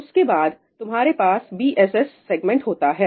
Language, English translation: Hindi, After this, you have the BSS segment